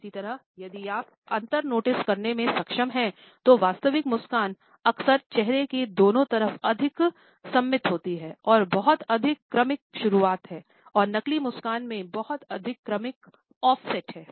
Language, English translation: Hindi, Similarly, if you are able to notice the difference then genuine smiles are often more symmetrical on both side of the face and have a much more gradual onset and particularly the much more gradual offset than fake smiles